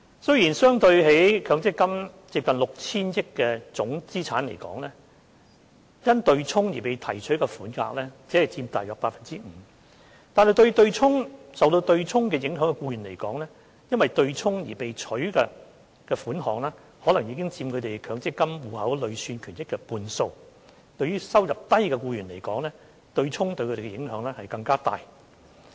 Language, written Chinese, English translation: Cantonese, 雖然相對於強積金接近 6,000 億元的總資產值而言，因對沖而被提取的款額只佔大約 5%， 但對於受對沖影響的僱員來說，因對沖而被提取的款額可能已佔他們強積金戶口累算權益的半數，而對於收入低的僱員來說，對沖對他們的影響更大。, The amount withdrawn owing to offsetting accounted for merely 5 % out of the total worth of nearly 600 billion of MPF benefits but to the employees affected by offsetting the amount withdrawn owing to offsetting may take up half of the accrued benefits of their MPF accounts and the impact of offsetting on low - income employees is even greater